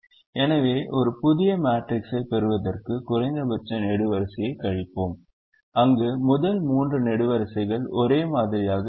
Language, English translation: Tamil, so we subtract the column minimum from every element of that, subtract the column minimum to get a new matrix where the first three columns are the same